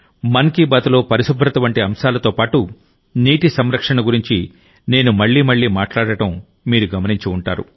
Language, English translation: Telugu, You must have also noticed that in 'Mann Ki Baat', I do talk about water conservation again and again along with topics like cleanliness